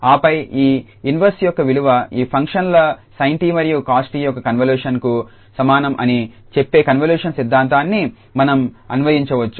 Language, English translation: Telugu, And then we can apply the convolution theorem which says that the value of this inverse would be equal to the convolution of these functions sin t and cos t